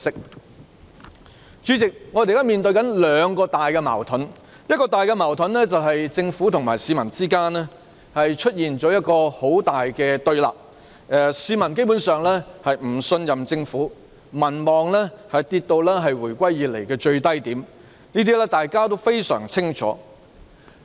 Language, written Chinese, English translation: Cantonese, 代理主席，我們現時面對兩大矛盾，第一，是政府與市民之間出現很大對立，市民基本上已不信任政府，政府的民望下跌至回歸以來的最低點，這點大家都非常清楚。, Deputy President we face two major conflicts now . The first one is that the Government and the public are in diametrical opposition . The public basically trust the Government no more